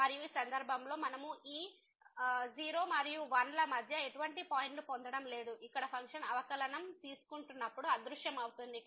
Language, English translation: Telugu, And, in this case we are not getting any point between this 0 and 1 where the function is taking over the derivative is vanishing